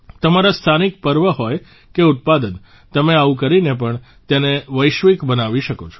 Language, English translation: Gujarati, Be it your local festivals or products, you can make them global through them as well